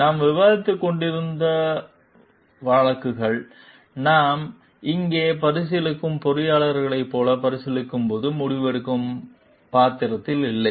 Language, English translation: Tamil, These cases we were discussing when we were considering like the engineer like maybe whom we are considering over here is not in a decision making role